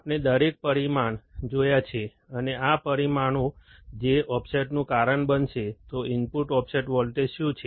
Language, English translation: Gujarati, We have seen every parameter, and these are the parameters that will cause the offset, So, what is input offset voltage